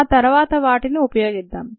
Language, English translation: Telugu, used them later